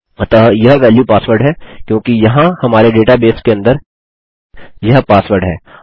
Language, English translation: Hindi, So this value is password, because inside our database, this is password here